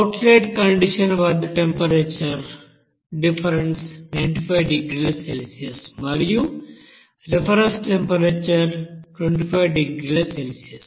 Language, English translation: Telugu, And temperature difference is here at the outlet condition temperature is 950 degrees Celsius and the reference temperature is 25